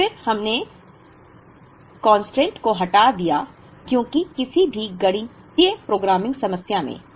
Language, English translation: Hindi, And then, we removed the constant, because in any mathematical programming problem